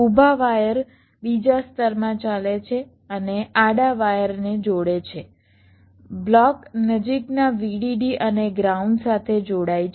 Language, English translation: Gujarati, the vertical wires run in another layer and connect the horizontal wires block connects to the nearest vdd and ground